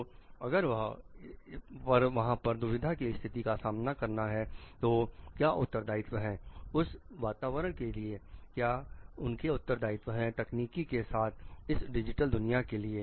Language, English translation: Hindi, So, if to have to handle dilemma over there, what are their responsibilities towards their environment what is their responsibility in dealing with the digital world in dealing with technology